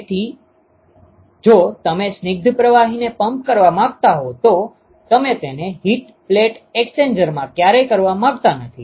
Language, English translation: Gujarati, So if you want to pump a viscous fluid, you never want to do it in a plate heat exchanger